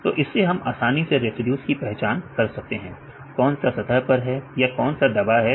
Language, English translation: Hindi, So, from this only we can easily identify the residues, which are at the surface or which are buried